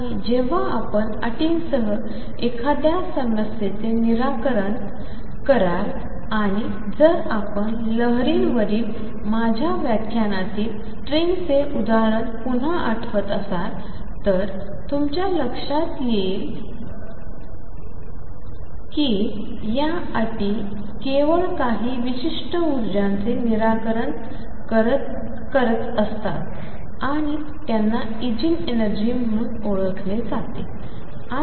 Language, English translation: Marathi, And when you solve a problem with boundary conditions if you recall again from the example of string in my lecture on waves, boundary conditions means that the boundary conditions are satisfied with only certain energies E n and these will be known as Eigen energies